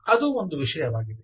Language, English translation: Kannada, that is an issue